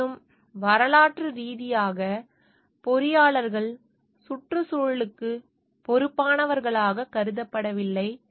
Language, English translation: Tamil, However, historically, engineers were not considered as responsible concerning the environment as they should have been